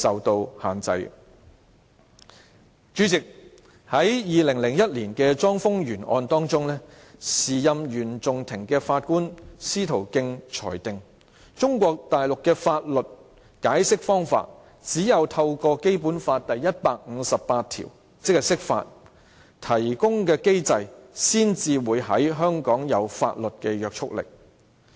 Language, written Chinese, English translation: Cantonese, 代理主席，在2001年的莊豐源案中，時任原訟庭法官司徒敬裁定，中國大陸的法律解釋方法，只有透過《基本法》第一百五十八條提供的機制，才會在香港有法律約束力。, Deputy President in the case of CHONG Fung - yuen in 2001 the Judge of the Court of First Instance at the time Justice Frank STOCK ruled that the method of legal interpretation of Mainland China would become legally binding in Hong Kong only through the mechanism provided in Article 158 of the Basic Law